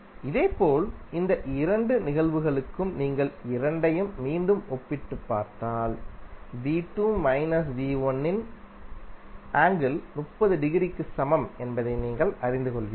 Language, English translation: Tamil, Similarly for these two cases if you compare both of them, again you will come to know the angle of V2 minus V1 is equal to 30 degree